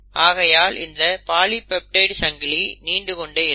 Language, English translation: Tamil, This polypeptide chain; so let us say this is now the polypeptide chain